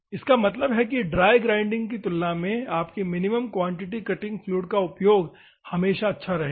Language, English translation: Hindi, That means that compared to dry grinding, your minimum quantity and the cutting fluid utilization will be always good